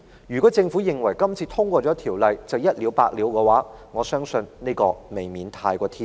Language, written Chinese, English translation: Cantonese, 如果政府認為《條例草案》通過便可以一了百了，我相信這未免過於天真。, It would be too naive if the Government thinks that the passage of the Bill will solve the problem once and for all